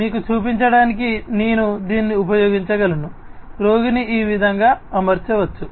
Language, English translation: Telugu, I could use it to show you that, a patient could be fitted with it like this